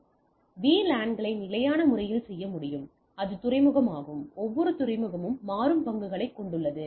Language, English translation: Tamil, So, VLANs can be done statically that is port by port each port has a shares that dynamic